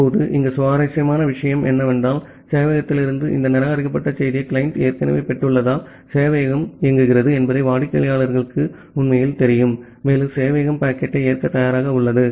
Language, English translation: Tamil, Now, here the interesting thing is that because the client has already received this reject message from the server, the client actually knows that the server is running, and the server is ready to accept packet